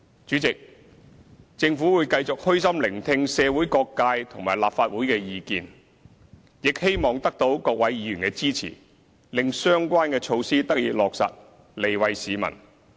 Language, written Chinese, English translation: Cantonese, 主席，政府會繼續虛心聆聽社會各界和立法會的意見，亦希望得到各位議員的支持，令相關的措施得以落實，利惠市民。, President the Government will continue to listen humbly to the Legislative Council and every sector of the community for their views and hope that with the support of Members the relevant measures could be implemented for the benefit of the public